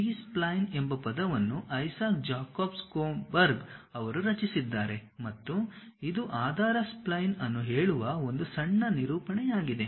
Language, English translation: Kannada, The term B spline was coined by Isaac Jacob Schoenberg and it is a short representation of saying basis spline